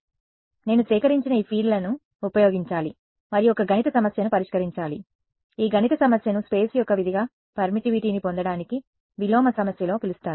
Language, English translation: Telugu, So, I have to use these fields that I have collected and solve a mathematical problem, this mathematical problem is what is called in inverse problem to get permittivity as a function of space